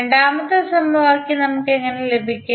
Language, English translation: Malayalam, So, how we will get the second equation